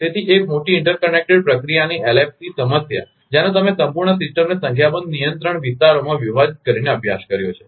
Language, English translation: Gujarati, So, LFC problem of a large interconnected process you have been studied by dividing the whole system into a number of control areas